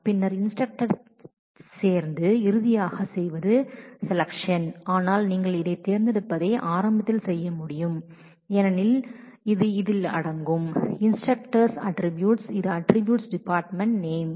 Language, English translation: Tamil, And then joining instructor with that and finally, doing the selection, but you should you would be able to do this select early because it involves the attribute department name which is the attribute of instructor alone here